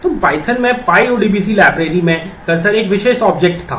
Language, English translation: Hindi, So, in python the cursor was a particular object in the pyodbc library